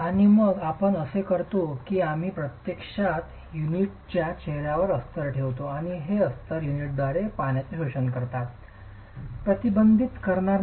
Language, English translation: Marathi, And then what we do is that we actually place lining on the face of the units and this lining will actually absorb the, will not inhibit the absorption of water by the unit